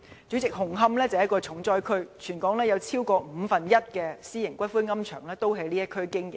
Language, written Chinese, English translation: Cantonese, 主席，紅磡是一個重災區，全港有超過五分之一的私營龕場在這地區經營。, President Hung Hom is worst hit by this problem . Over one fifth of private columbaria in the territory are established in that district